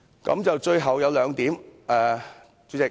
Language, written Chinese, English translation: Cantonese, 主席，最後我想說兩點。, To end President I wish to make two points